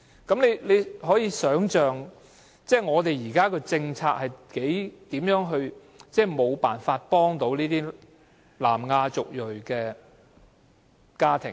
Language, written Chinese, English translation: Cantonese, 大家可以想象，現行的政策根本無法幫助這些有小朋友的南亞族裔家庭。, Members may deduce that the existing policies are ineffective in helping these South Asian ethnicity households with children